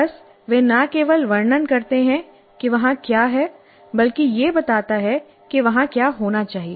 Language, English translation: Hindi, Just they do not only describe what is there but it tells what should be there